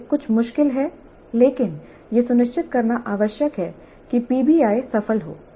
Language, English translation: Hindi, This is somewhat tricky but it is required to ensure that PBI becomes successful